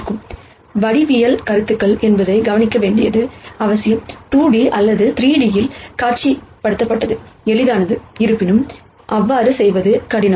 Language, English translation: Tamil, It is important to notice that the geometric concepts are easier to visualize in 2 D or 3 D; however, they are difficult to do